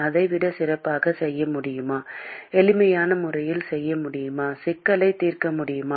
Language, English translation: Tamil, Can we do better than that can we do in a simpler fashion can we solve the problem